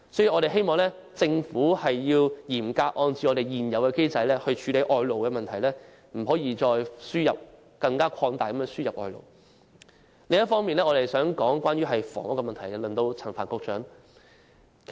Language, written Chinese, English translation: Cantonese, 我們希望政府嚴格按照現有機制處理外勞問題，不可再擴大輸入外勞。另一方面，我想談談房屋問題，現在輪到陳帆局長。, We hope the Government can address the foreign labour problem in strict accordance with the existing mechanism rather than expanding the importation of labour It is now the turn of Secretary Frank CHAN as I would like to say a few words about the housing problem